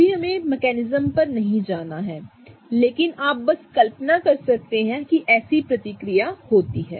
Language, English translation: Hindi, And don't go over the mechanism right now, but you can just imagine that such a reaction takes place